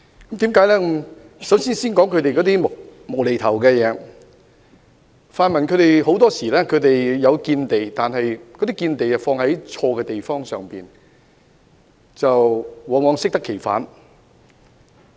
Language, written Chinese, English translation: Cantonese, 我首先談談他們"無厘頭"的地方，泛民議員很多時候是有見地的，但卻放在錯誤的地方，往往適得其反。, I would firstly talk about their point which is senseless . Members from the pan - democratic camp are often insightful but they have put their insights on the wrong aspects frequently giving rise to an exactly opposite effect